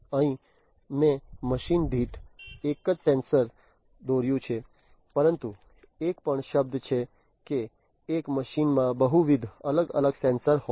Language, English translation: Gujarati, Here I have drawn a single sensor per machine, but it is also possible that a machine would have multiple different sensors